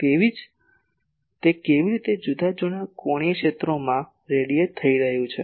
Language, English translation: Gujarati, So, how it is radiating in different angular sectors it is radiating